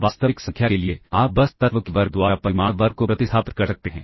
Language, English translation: Hindi, For real number, you can simply replace the magnitude square by the square of the element